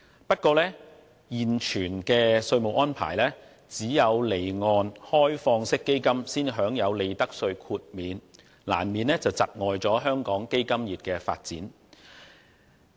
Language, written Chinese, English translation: Cantonese, 不過，根據現有的稅務安排，只有離岸開放式基金型公司才享有利得稅豁免，這難免會窒礙香港基金業的發展。, However under the current tax arrangements only offshore open - ended fund companies are eligible for profits tax exemption which will inevitably hinder the development of Hong Kongs fund industry . The Inland Revenue Amendment No